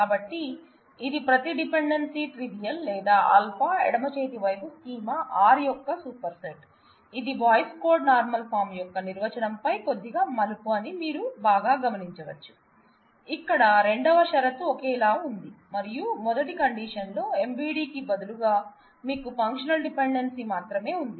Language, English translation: Telugu, So, it is either trivial every dependency is either trivial, or alpha left hand side is a superset of the schema R, you can very well relate that this is just a little twist on the definition of the Boyce Codd normal form, where the second condition was identical and only thing in the first condition instead of MVD, you had a functional dependency